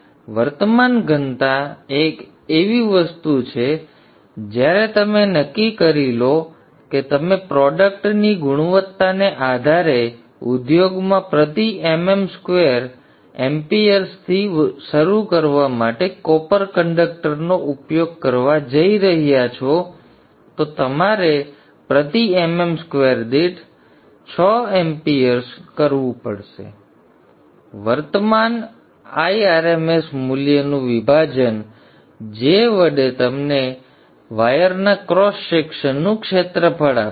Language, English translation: Gujarati, So current density is something once copper you are decided you are going to use copper conductors you start with 3 amp or m m square people in the industry depending upon the quality of the manufacture they go even up to six amperm square so the current density high rms value divide by j will give you the area of cross section of the wire